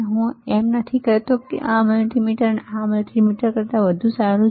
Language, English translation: Gujarati, I am not telling that this multimeter is better than this multimeter